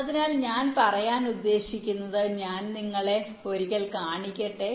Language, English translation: Malayalam, so what i mean to say is that let me just show you once